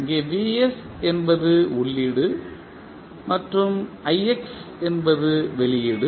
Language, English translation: Tamil, So, we need to find the value of ix and vs is given as an input